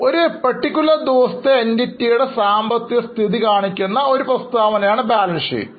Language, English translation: Malayalam, The balance sheet is a statement which shows the financial position of the entity as on a particular day